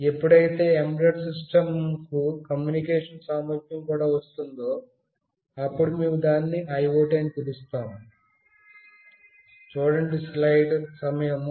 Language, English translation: Telugu, When an embedded system also has got communication capability, we call it as an IoT